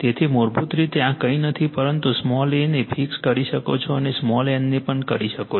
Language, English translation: Gujarati, So, basically this is nothing, but your you can fix small a and you can small n also right